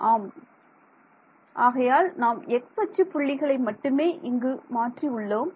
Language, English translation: Tamil, So, yeah, so we are changing only x coordinates over here